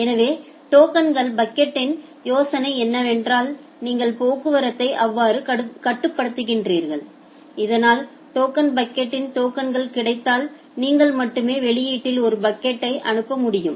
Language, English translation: Tamil, So, the idea of the token bucket is that you regulate the traffic in such a way, so that if there is available tokens in the token bucket, then only you will be able to send a packet at the output